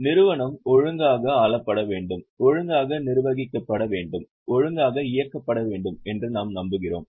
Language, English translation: Tamil, We want that company should be ruled properly, should be managed properly, should be operated properly